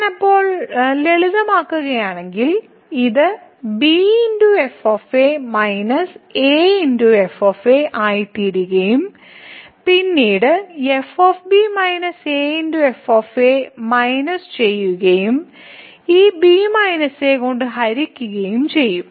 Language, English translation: Malayalam, So, this if I simplify then and this will become minus and then minus and minus a and divided by this minus